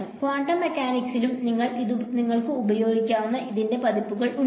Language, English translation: Malayalam, There are versions of this which you can use for quantum mechanics also